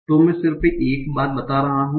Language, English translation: Hindi, So let me just tell you one thing